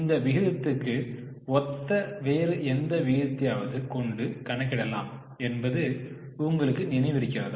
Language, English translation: Tamil, Do you remember any other ratio which is similar to this ratio